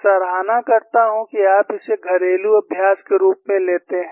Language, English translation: Hindi, I would appreciate that you take that as a home exercise